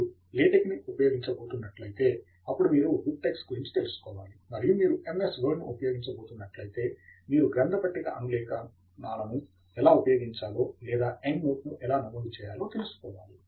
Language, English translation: Telugu, If you are going to use LaTeX, then you should know about BibTeX, and if you are going to use MS Word then you should know how to use bibliography citations or how to make endnote entries